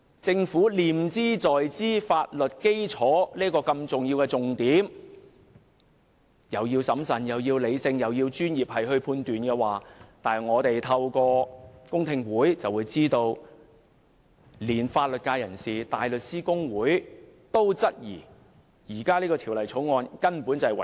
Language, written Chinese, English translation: Cantonese, 政府不斷強調這項重要的法律基礎，要求議員審慎、理性作出專業判斷，但我們透過公聽會得知，連法律界人士、香港大律師公會也質疑《條例草案》違反《基本法》第十八條。, The Government has constantly stressed the importance of this legal basis urging Members to hand down their professional judgment prudently and rationally but through public hearings we have realized that even legal professionals and the Hong Kong Bar Association query whether the Bill has contravened Article 18 of the Basic Law